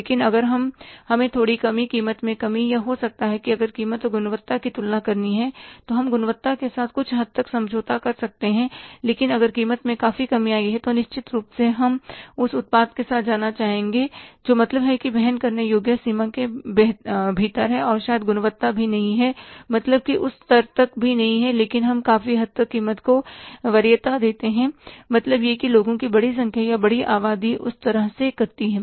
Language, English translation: Hindi, But if we are getting a little reduction, decrease in the price or maybe if the price and quality we have to compare, we can compromise to some extent with the quality but if the prices reduced significantly then certainly we would like to go with the products who are within the affordable range and maybe the quality is also not is also up to that level but we give the preference largely to the price